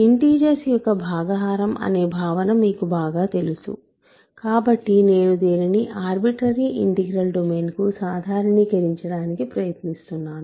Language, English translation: Telugu, So, you are familiar with the notion of division for integers so, I am trying to generalize this to an arbitrary integral domain